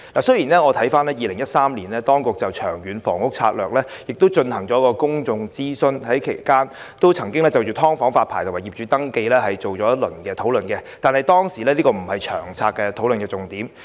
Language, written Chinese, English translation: Cantonese, 雖然當局在2013年曾就《長遠房屋策略》進行公眾諮詢，而其間亦曾就"劏房"發牌及業主登記進行討論，但這並非當時相關策略的討論重點。, The authorities conducted a public consultation exercise on the Long Term Housing Strategy in 2013 during which the licensing and landlord registration for subdivided units was discussed but it was not the focus of the discussion on the relevant strategy back then